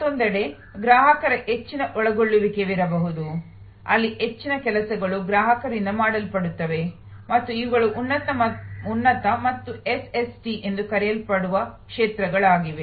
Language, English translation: Kannada, On the other hand, there can be high involvement of customer, where most of the work will be done by the customer and these are the arenas of so called high and SST